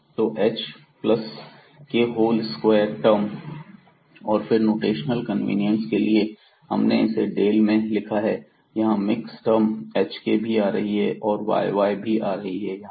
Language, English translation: Hindi, So, h plus k whole square term, and for the notational convenience we have also because here we have this like del to the second order term here also it is mix term like hk, here also the yy term